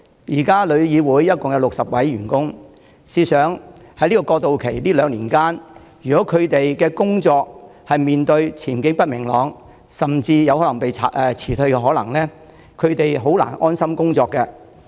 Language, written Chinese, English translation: Cantonese, 現時旅議會共有60位員工，試想在過渡期的兩年間，如果員工擔心工作前景不明朗甚至有可能被辭退，他們便難以安心工作。, Currently TIC has altogether 60 employees . If the employees are worried about uncertainty of work prospect and even the possibility of being dismissed during the two - year transitional period they cannot work contentedly